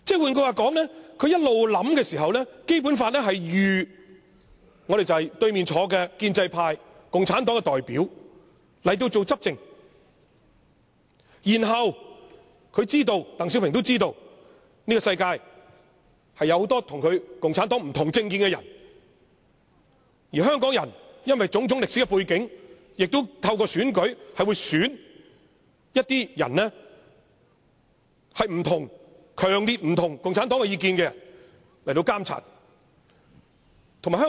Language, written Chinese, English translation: Cantonese, 換句話說，他一直思量的時候，《基本法》預計了由坐在對面的建制派、共產黨的代表執政，鄧小平知道這個世界有很多與共產黨持不同政見的人，而香港人因為種種歷史背景，亦會透過選舉選出一些與共產黨有強烈不同意見的人進行監察。, Under DENGs manoeuver the Basic Law was designed on the assumption that Hong Kong was ruled by the pro - establishment camp sitting opposite me acting as the representative of the Communist Party . DENG also understood that many people in the world held different political views other than communism and that due to the historical factors Hong Kong people would elect some persons who were strongly against communism as their representatives to monitor the Government